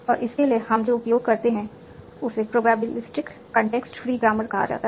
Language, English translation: Hindi, And for that, what we use is called probability context free grammar